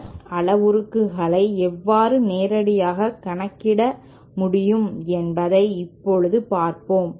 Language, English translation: Tamil, Now let us see whether how we can directly calculate the S parameters